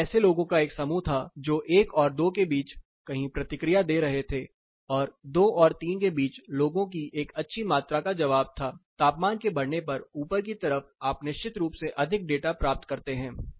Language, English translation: Hindi, Then there a set of people who were responding somewhere between one and two, and there were a good amount of people responding between 2 and 3 you get more data of course, on in the higher side as the temperature go up